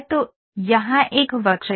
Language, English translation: Hindi, So, here is a curve